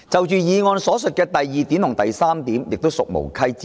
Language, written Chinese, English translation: Cantonese, 議案所述的第二及三點亦屬無稽之談。, Points two and three in the motion are likewise untrue